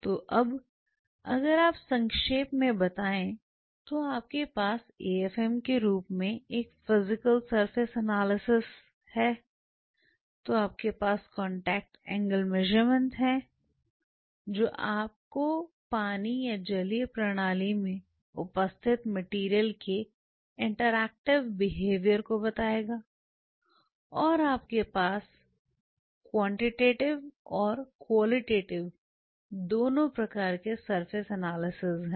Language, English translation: Hindi, So, now if you summarize you have a physical surface analysis in the form of afm you have a contact angle measurement which will tell you the interactive behavior of the material in the presence of water or aqueous system and you have a surface analysis both quantitative and qualitative